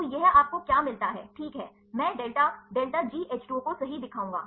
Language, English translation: Hindi, So, this what do you get the ok, I will show the delta delta G H 2 O right